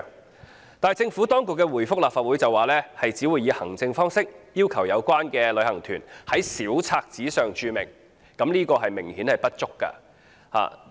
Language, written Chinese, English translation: Cantonese, 可是，政府當局卻回覆立法會，指只會以行政方式，要求有關旅行團在小冊子上註明，此舉明顯不足夠。, However in its reply to the Legislative Council the Administration said that administrative measures would be adopted to require the travel agent to provide such information in its brochures . This is obviously inadequate